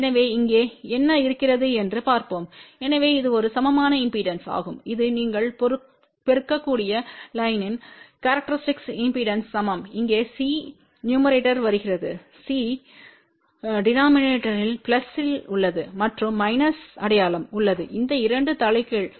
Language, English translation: Tamil, Which is equivalent to characteristic impedance of the line multiplied by you can see over here C is coming in the numerator here C is in the denominator plus and minus sign is there and these 2 are reversed